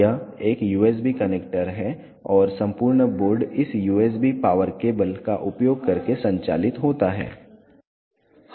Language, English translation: Hindi, This is a USB connector and the entire board is powered using this USB power cable